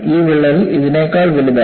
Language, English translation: Malayalam, And this crack has grown bigger than this